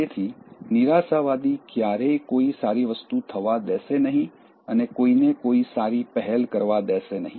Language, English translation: Gujarati, So, the pessimist will never let any good thing happen nor will let anyone take any good initiative